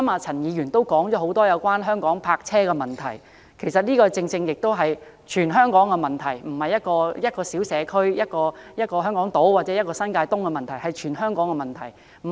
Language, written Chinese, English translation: Cantonese, 陳議員剛才也提及有關香港泊車的問題，這是全香港的問題，並非一個小社區、香港島或新界東的問題。, Mr CHAN has also mentioned the parking problems in Hong Kong which is a problem not just affecting a small community Hong Kong Island or New Territories East but the entire territory